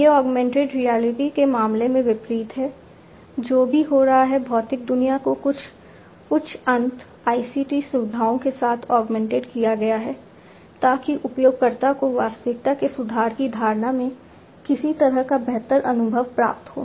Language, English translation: Hindi, It you know unlike in the case of augmented reality, in augmented reality what is happening is the you know the physical world is augmented with certain you know high end ICT features, so that the user gets some kind of improved experience in improved perception of the reality